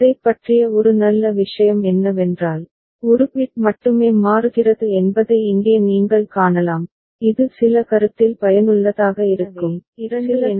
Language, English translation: Tamil, One good thing about it what you can see here that only one bit is changing which could be useful in some consideration, in some cases right